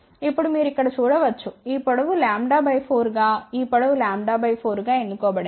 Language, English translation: Telugu, Now, you can see here this length has been chosen as lambda by 4 this length has been chosen as lambda by 4